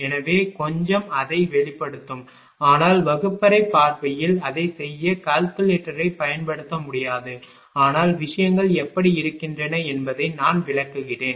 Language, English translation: Tamil, So, little bit will ah express that, but in the classroom point of view it is not possible using calculator to do that, but I will explain how things are